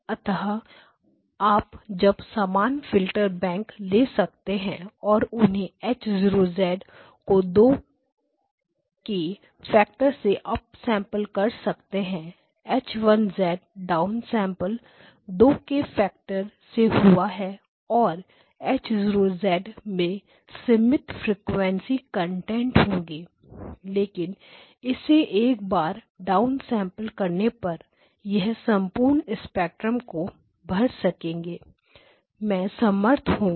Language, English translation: Hindi, And so you can now take the same filterbank and apply it once more H0 of z down sample by a factor of 2 H1 of Z down sample by a factor of 2 and now H1 of Z has got a limited frequency content but once you down sample it